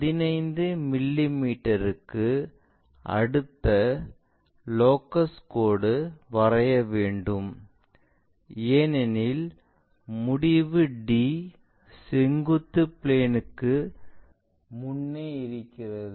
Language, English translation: Tamil, Then draw another locus line 15 mm, because this end D is 15 mm in front of vertical plane